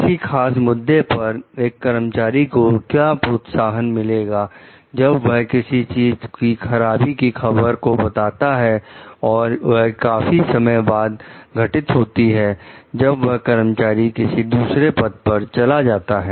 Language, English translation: Hindi, As a practical matter, what incentives might an employee have for reporting bad news of something that will happen long after the employee has moved to another position